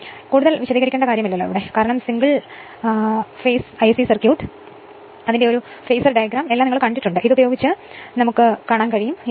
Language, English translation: Malayalam, So, not much to explain because you have seen your dingle phase AC circuit phasor diagram everything right so, with this if you make this is a